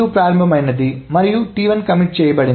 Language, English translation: Telugu, There is a starting of T2 and then T1 commits